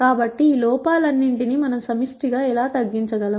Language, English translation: Telugu, So, how do we collectively minimize all of these errors